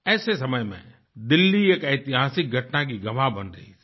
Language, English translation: Hindi, In such an atmosphere, Delhi witnessed a historic event